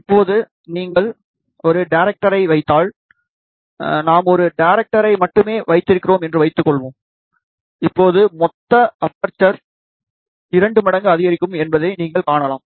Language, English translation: Tamil, Now, if you put a director, suppose we put just one director, you can see that now the total aperture will increase by two times